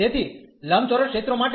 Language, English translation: Gujarati, So, for non rectangular regions